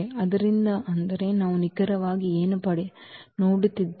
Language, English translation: Kannada, So; that means, what we are looking exactly